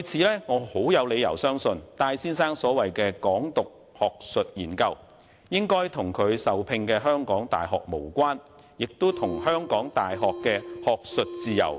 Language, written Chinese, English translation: Cantonese, 因此，我有理由相信，戴先生所謂的"港獨"學術研究與其僱主港大無關，亦不涉港大的學術自由。, As such I have reasons to believe that Mr TAIs so - called academic research on Hong Kong independence has nothing to do with his employer HKU . Nor is the academic freedom of HKU involved